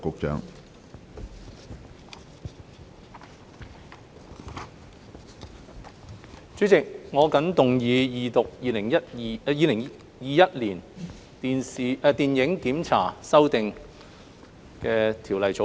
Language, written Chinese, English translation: Cantonese, 主席，我謹動議二讀《2021年電影檢查條例草案》。, President I move the Second Reading of the Film Censorship Amendment Bill 2021 the Bill